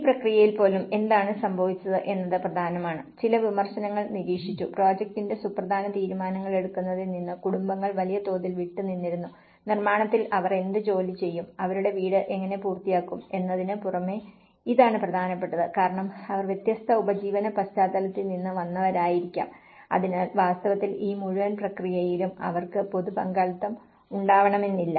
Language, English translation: Malayalam, And even in this process, what happened is important some of the criticisms have observed, families were largely absent from the important decision making of the project, apart from what job they would do in construction and how to finish their house so, this is one of the important because they may come from a different livelihood background, so in fact, in this whole process, they couldn’t see much of the public participation